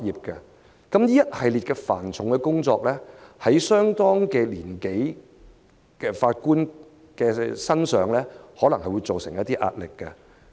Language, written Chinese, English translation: Cantonese, 這一系列繁重的工作，對年紀相當的法官可能造成一定壓力。, Such a heavy workload may exert certain pressure on a judge who is senior in age